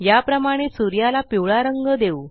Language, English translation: Marathi, Similarly,lets colour the sun yellow